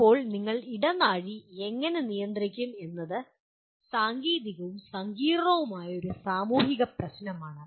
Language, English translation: Malayalam, Now how do you manage the corridor is a both a technical and a complex social problem